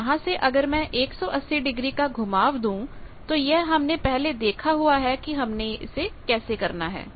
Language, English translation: Hindi, So, from that if I take a 180 degree rotation we have earlier seen how to do 1 eighty degree rotation